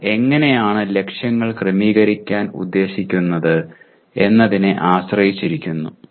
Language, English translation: Malayalam, It depends on how you are planning to set the targets